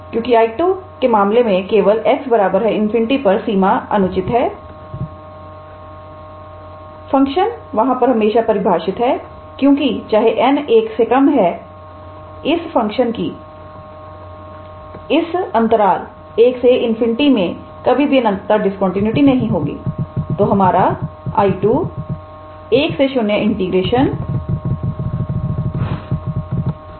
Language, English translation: Hindi, Because in case of I 2 only at x equals to infinity is the improperness in the limit the function is always defined because even though if n is less than 1 this function will never have a point of infinite discontinuity in that interval one to infinity